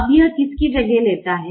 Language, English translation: Hindi, now which one does it replace